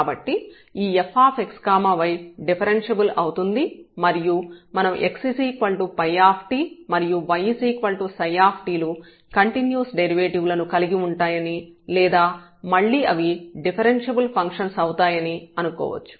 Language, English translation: Telugu, So, this f x y is a differentiable function and then we also let that x is equal to phi t and y is equal to psi t, they posses a continuous derivatives or again we can assume that they are differentiable functions